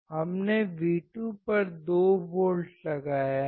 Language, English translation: Hindi, We have applied 2 volts at V2